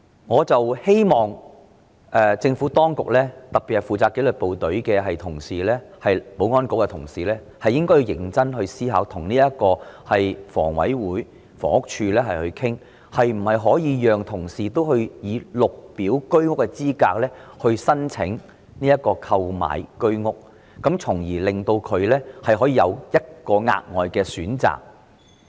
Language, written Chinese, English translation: Cantonese, 我希望政府當局特別是負責紀律部隊的保安局同事認真思考，並與香港房屋委員會和房屋署討論可否讓紀律部隊人員以綠表資格申請購買居者有其屋計劃單位，從而為他們提供額外選擇。, I hope the Administration particularly colleagues of the Security Bureau responsible for the disciplined services can seriously consider and discuss with the Hong Kong Housing Authority and the Housing Department the feasibility of granting disciplined services staff the Green Form status to apply for purchase of Home Ownership Scheme flats thereby offering them an additional option